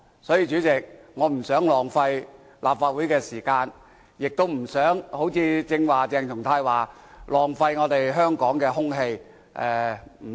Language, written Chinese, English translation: Cantonese, 所以，主席，我不想浪費立法會的時間，亦不想好像鄭松泰議員剛才說那樣，浪費香港的空氣。, Therefore President I do not want to waste the time of the Council or the energy of Hong Kong or in the words of Dr CHENG Chung - tai just now Hong Kongs air